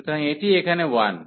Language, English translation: Bengali, So, this is this is 1 here